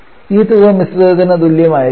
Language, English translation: Malayalam, We need to know the mixture volume